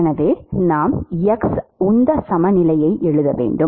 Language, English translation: Tamil, So, so we need to write the X momentum balance